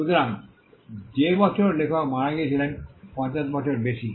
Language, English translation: Bengali, So, the year on which the author died plus 50 years